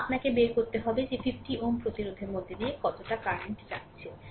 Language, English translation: Bengali, So, you will get the current and that is the current flowing to 50 ohm resistance